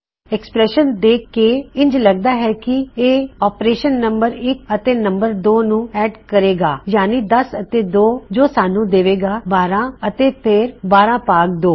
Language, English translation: Punjabi, So, what I think this operation will do is, it will add num1 and num2, so that is 10 and 2 which will give us 12 and then 12 divided by 2